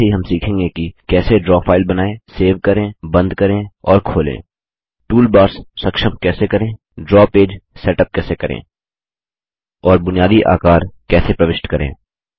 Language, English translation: Hindi, We will also learn how to: Create, save, close and open a Draw file, Enable toolbars, Set up the Draw page, And insert basic shapes